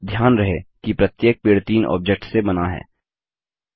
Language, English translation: Hindi, Now remember, each tree is made up of three objects